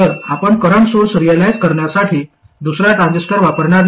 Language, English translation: Marathi, So, you would not use another transistor to realize this current source